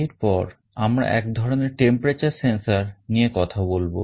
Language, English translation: Bengali, Next let us talk about one kind of temperature sensor